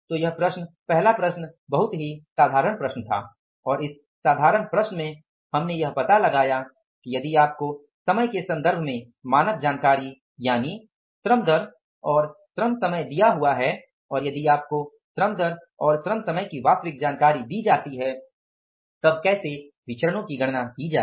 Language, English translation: Hindi, So this problem, first problem was very simple problem and in this simple problem we could find out that if you are given the standard information in terms of time that is the labor rate and the labor time and if you are given the standard information in terms of time, that is the labor rate and the labor time and if you are given the actual information with regard to labor time and the labor rate, then how to calculate the variances